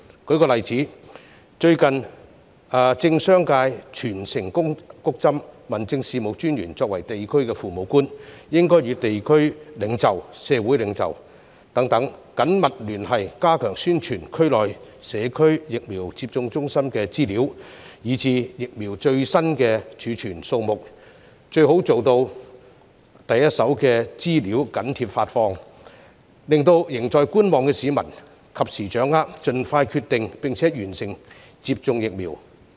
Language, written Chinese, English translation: Cantonese, 舉個例子，最近政商界全城"谷針"，民政事務專員作為地區父母官，應該與地區領袖和社會領袖等緊密聯繫，加強宣傳區內社區疫苗接種中心的資料以至疫苗最新儲存數目，最好做到第一手的資料緊貼發放，令仍在觀望的市民及時掌握有關資料，盡快決定並完成接種疫苗。, For instance in the recent boosting of inoculation by government and business sectors District Officers being the parents of the local residents should maintain close liaison with district leaders and community leaders to enhance publicity on information about the community vaccination centres within the districts as well as the latest number of vaccines stored . It would be best if they can release first - hand information as soon as possible so that people who take a wait - and - see approach can grasp the relevant information in a timely manner and make up their mind and receive vaccination early